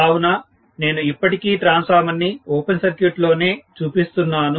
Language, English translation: Telugu, So, we are actually looking at the transformer under open circuit conditions